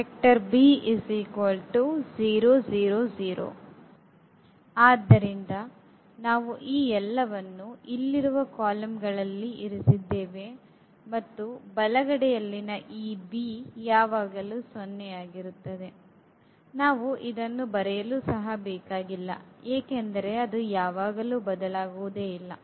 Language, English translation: Kannada, So, we kept all these in the columns here and the right hand side this b is always 0, we can we do not have to write also this 0, 0, 0 always because that is not going to change